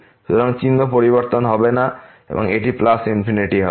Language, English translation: Bengali, So, sign will not change and it will be plus infinity